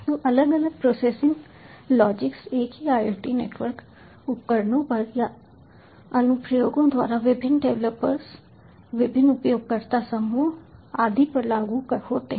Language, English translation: Hindi, so different processing logics are applied to the same iot network devices or applications by different developers, different user groups and so on